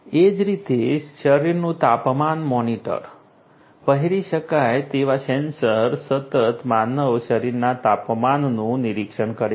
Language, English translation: Gujarati, Similarly, body temperature monitors wearable sensors to continuously monitor the human body temperature